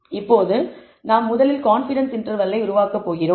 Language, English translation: Tamil, Now, the first thing we will do is to develop confidence intervals